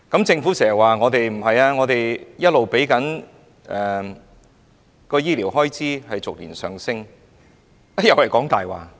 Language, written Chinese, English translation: Cantonese, 政府經常說，我們的醫療開支逐年上升，但這又是謊話。, The Government always says that our healthcare expenditure is rising year by year but this is another lie